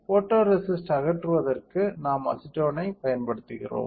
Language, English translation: Tamil, So, for stripping of the photoresist, we use acetone